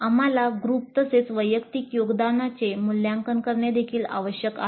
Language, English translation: Marathi, And we also need to assess group as well as individual contributions that needs to be assessed